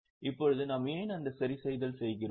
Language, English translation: Tamil, Now why do we make that adjustment